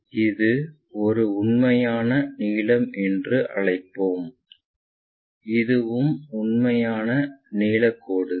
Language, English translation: Tamil, So, let us call this one true length, this is also true length lines